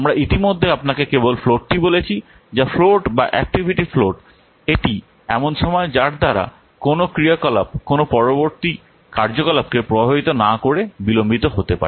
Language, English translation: Bengali, We have already I have already told you float that is float or activity float in the time by which an activity may be delayed without affecting any subsequent activity